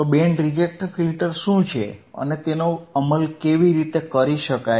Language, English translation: Gujarati, So, what are band reject filters and how it can be implemented